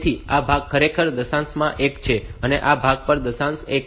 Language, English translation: Gujarati, So, this part is actually one in decimal and this part is also one in decimal